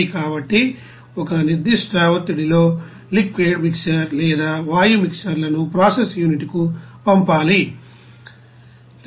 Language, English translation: Telugu, So that at a certain pressure that liquid mixer or gaseous mixers to be sent to the process unit